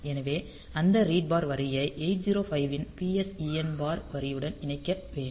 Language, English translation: Tamil, So, that read bar line it should be connected to the PSEN bar line of the 8051